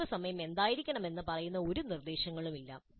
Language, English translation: Malayalam, So there is no recipe which tells us what should be the wait time